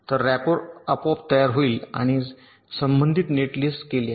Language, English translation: Marathi, so the rapper will be automatically generated and the corresponding net list is done